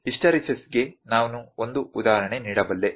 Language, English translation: Kannada, I can put an example for hysteresis